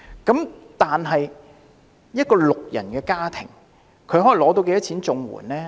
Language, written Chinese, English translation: Cantonese, 那麼，一個六人家庭可獲發多少綜援金？, So how much in CSSA can a family of six expect to receive?